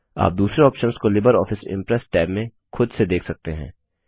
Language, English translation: Hindi, You can explore the other size options in the libreoffice impress tab on your own